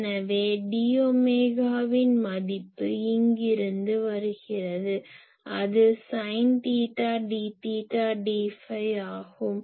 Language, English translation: Tamil, So, what is the value of d omega from here it comes , it is simply sin theta , d theta , d phi